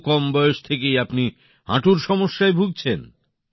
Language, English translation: Bengali, Your knees got affected at such a young age